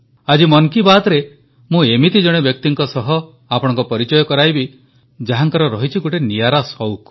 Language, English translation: Odia, Today in Mann ki baat I will introduce you to a person who has a novel passion